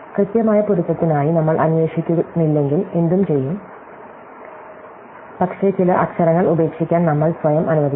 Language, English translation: Malayalam, So, what if we do not look for an exact match, but we allow ourselves to drop some letters